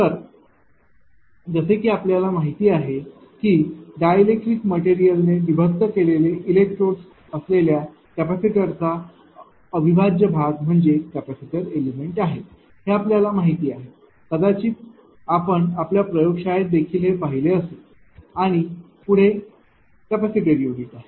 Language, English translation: Marathi, So, as you know and indivisible part of a capacitor consisting of electrodes separated by dielectric material this you know; perhaps you might have seen in the, you know laboratory also and next is the capacitor unit